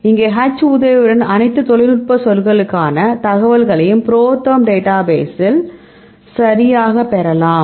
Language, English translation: Tamil, So, here the help H, you can get the information for all the technical terms right, we are used in the ProTherm database